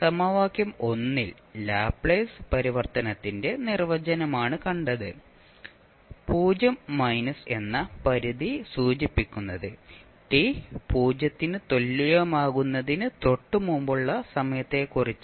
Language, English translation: Malayalam, Now, in equation 1, which you just saw that is the definition of your Laplace transform the limit which is 0 minus indicates that we are talking about the time just before t equals to 0